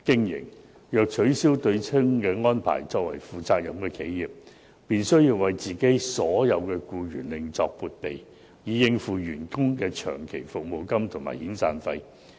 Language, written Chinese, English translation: Cantonese, 如取消對沖安排，作為負責任的企業便需為其僱員另作撥備，以應付員工的長期服務金和遣散費。, If the offsetting arrangement is abolished those responsible enterprises will have to make provision for long service payments and severance payments of employees